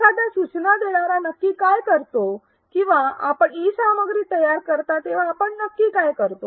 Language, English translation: Marathi, What exactly does an instructional designer do or what exactly will you be doing when you design e content